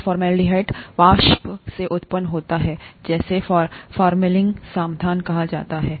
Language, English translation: Hindi, And the formaldehyde vapour is generated from, what are called formalin solutions